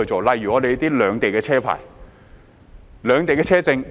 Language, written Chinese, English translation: Cantonese, 例如利用兩地的車牌和車證。, For example we can use the vehicle licences and permits from both sides